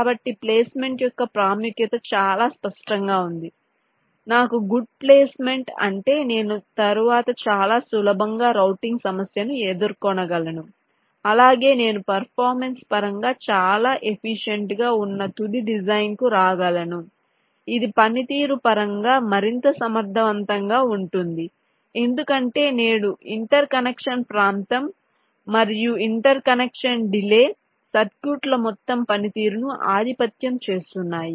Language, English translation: Telugu, ok, so the important of placement is quite cleared, that if i have a good placement i can have the routing problem much easier later on and also i can come or i can arrive at a final design which will be more efficient in terms of performance, because today interconnection area and interconnection delays are dominating the total performance of the circuits